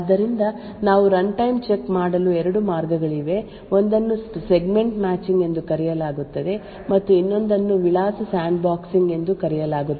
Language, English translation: Kannada, So, there are two ways in which we could do runtime check one is known as Segment Matching and the other one is known as Address Sandboxing